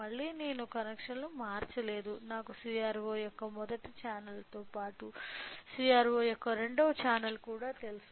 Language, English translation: Telugu, Again, so, I have not changed the connections to you know I to the first channel of CRO as well as second channel of CRO